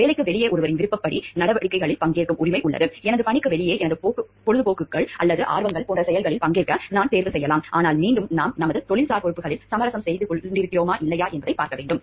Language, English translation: Tamil, The right to participate in activities of one’s choosing outside of work; outside my work I can choose to participate in activities which could be my hobbies or interests, but again we have to see whether we are compromising on our professional responsibilities or not